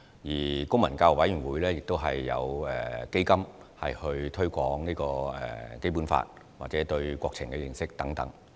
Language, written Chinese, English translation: Cantonese, 此外，公民教育委員會亦有基金推廣《基本法》或公民對國情的認識等。, Furthermore the Committee on the Promotion of Civic Education has also set up funds for the promotion of the Basic Law civic education and understanding of national affairs